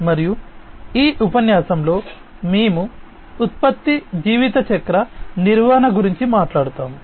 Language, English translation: Telugu, And also in this lecture, we will talk about product lifecycle management